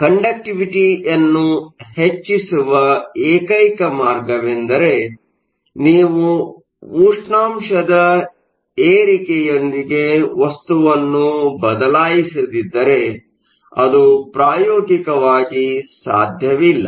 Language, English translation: Kannada, So, the only way of increasing the conductivity, if you are not allowed to change the material is by increasing temperature, now that is not practical